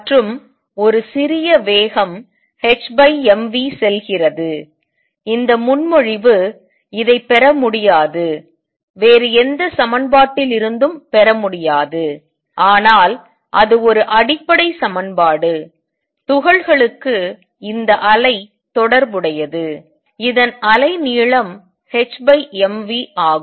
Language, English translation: Tamil, And goes to h over m v for a small speeds this is the proposal, this is cannot be derived cannot be obtained from any other equation, but it is a fundamental equation, it is that particles have this wave associated which is which is has a wave length h by m v